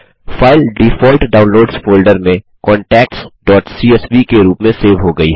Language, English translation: Hindi, The file is saved as contacts.csv in the default Downloads folder